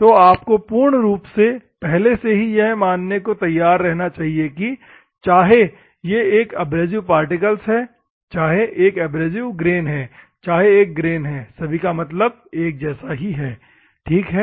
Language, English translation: Hindi, So, you should be ready enough to accept, whether it is an abrasive particle, whether it is an abrasive grain, whether it is a grain, both all the meaning is same, ok